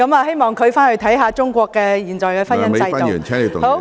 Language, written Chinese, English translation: Cantonese, 希望她回去看看中國現在的婚姻制度。, I hope she will go back to have a look at the current institution of marriage in China